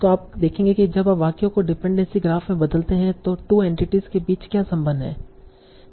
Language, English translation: Hindi, So you will see when you convert this sentence to a dependency graph, what is the connection between the two entities